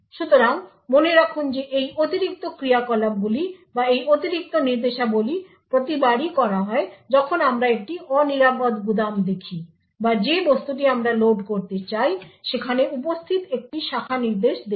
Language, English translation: Bengali, So, note that these extra operations or these extra instructions are done every time we see an unsafe store or a branch instruction present in the object that we want to load